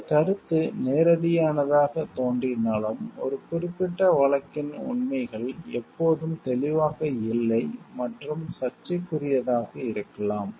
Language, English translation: Tamil, Although this concept seems straightforward, the facts of a particular case are not always clear and may be controversial